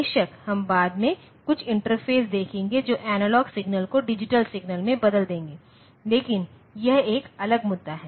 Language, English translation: Hindi, Of course, we will look into some interfacing later that will convert the analog signals into digital signal, but that is a different issue